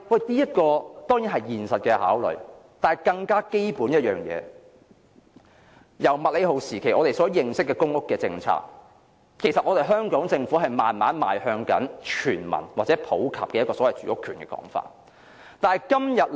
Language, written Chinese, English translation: Cantonese, 這是現實考慮，但更基本的一點是，自從麥理浩時期的公屋政策以來，香港政府其實是慢慢邁向奉行全民或普及住屋權的理念。, This is a consideration of the actual situation but more importantly since the launching of the public housing policy of the MACLEHOSE era the Government of Hong Kong gradually inclined to pursuing the concept of universal housing rights or housing rights for the whole people